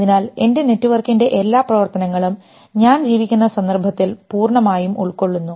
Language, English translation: Malayalam, So all my functioning of network is totally embedded in the context in which I am living